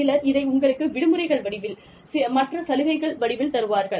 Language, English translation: Tamil, Some give this to you, in the form of vacations, and other benefits